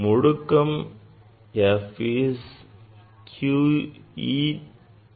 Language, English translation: Tamil, f acceleration is q E by m